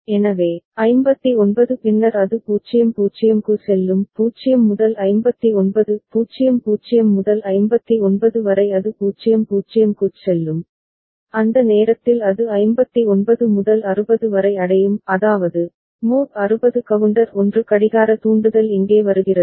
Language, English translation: Tamil, So, 59 then it will go to 0 0; 0 to 59 00 to 59 then it will go to 00 and at that time when it reaches that 59 to 60; that means, mod 60 counter 1 clock trigger comes over here